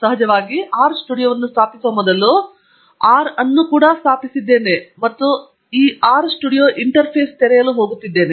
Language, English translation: Kannada, Of course, before installing R studio, I have installed R as well and I am going to open this R studio interface